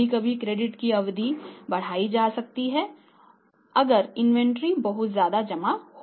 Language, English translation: Hindi, Sometimes the credit period can be extended also if we have the piling up of inventory